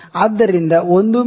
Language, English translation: Kannada, So, let us try 1 mm